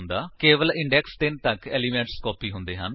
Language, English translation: Punjabi, Only the elements till index 3 have been copied